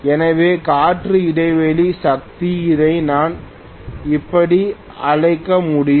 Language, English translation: Tamil, So air gap power I can call it like this